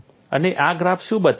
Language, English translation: Gujarati, So, what does this show